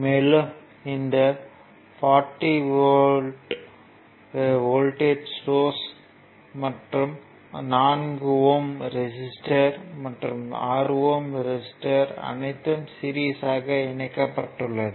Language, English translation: Tamil, So, this is actually the circuit is given, this is the 40 volt source 4 ohm resistor and this is 6 ohm resistor these are the polarity is given